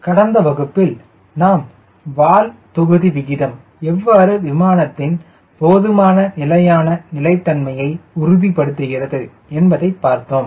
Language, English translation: Tamil, in the last class we were discussing about del volume ratio, primarily to ensure that the airplane has adequate static stability